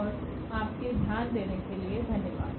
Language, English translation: Hindi, And, thank you for your attention